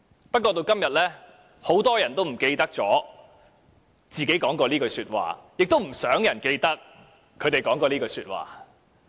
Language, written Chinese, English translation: Cantonese, 不過，直至今日，很多人都忘記自己說過這句話，亦不想有人記得他們說過這句話。, Nevertheless to this day many people have forgotten they have said such thing and they do not want other people to remember that they have said such thing